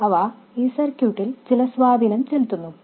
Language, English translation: Malayalam, And they do have some effect on the circuit